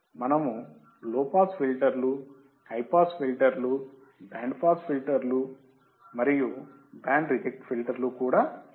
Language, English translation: Telugu, We also have low pass filters, high pass filters, band pass filters and band reject filters